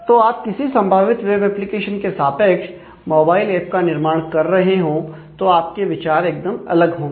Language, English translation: Hindi, So, you while developing a mobile app corresponding to a possible web application, your considerations would be very different